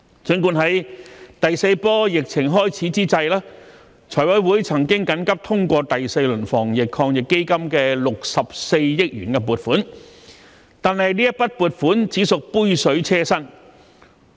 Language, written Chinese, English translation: Cantonese, 儘管在第四波疫情開始之際，財委會曾緊急通過第四輪防疫抗疫基金的64億元撥款，但這筆撥款只屬杯水車薪。, Despite the urgent approval of 6.4 billion for the fourth round of the Anti - epidemic Fund by the Finance Committee at the beginning of the fourth wave of the epidemic the funding provided is but a drop in the ocean